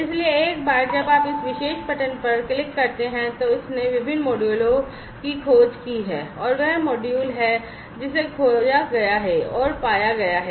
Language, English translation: Hindi, So, you know once you click on this particular button it has discovered different modules and this is this module that has been discovered and has been found